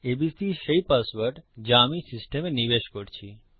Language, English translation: Bengali, abc is the password Im inputting to the system